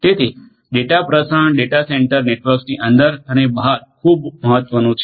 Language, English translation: Gujarati, So, transmission of the data within and outside the data centre networks is what is very important